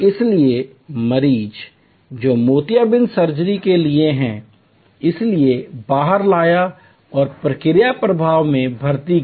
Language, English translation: Hindi, So, the patients who are for cataract surgery where therefore, brought out and fed into the process flow